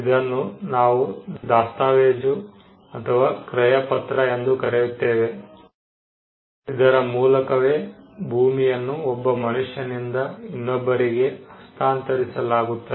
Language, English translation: Kannada, What we call the deed or the sale deed, by which a land is conveyed from one person to another